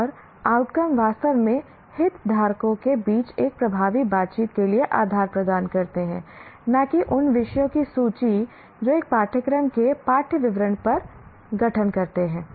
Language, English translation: Hindi, And the outcomes really provide the basis for an effective interaction among stakeholders, not the list of topics that constitutes the syllabus of a course